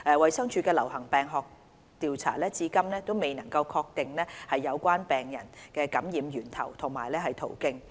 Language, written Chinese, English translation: Cantonese, 衞生署的流行病學調查至今未能確定有關病人的感染源頭及途徑。, The DHs epidemiological investigations have yet to determine the source and the route of infection